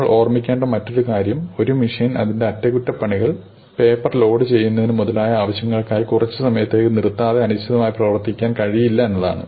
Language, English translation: Malayalam, The other thing that we might want to keep in mind is that a machine cannot run indefinitely without having to be stopped for some time for maybe some maintenance, for loading paper, for something